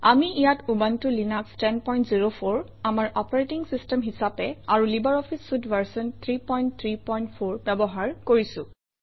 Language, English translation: Assamese, Here we are using Ubuntu Linux 10.04 as our operating system and LibreOffice Suite version 3.3.4